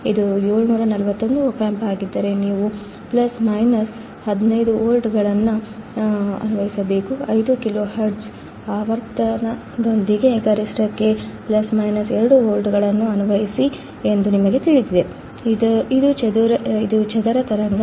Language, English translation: Kannada, If it is a 741 opamp, you have to apply plus minus 15 volts; you know apply plus minus 2 volts peak to peak with a frequency of 5 kilohertz, this is a square wave